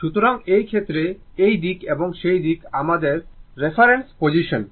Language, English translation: Bengali, So, in this case, so this side and that side, this is your our reference position